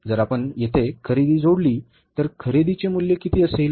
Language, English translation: Marathi, So if you add the purchases here, how much is the purchase value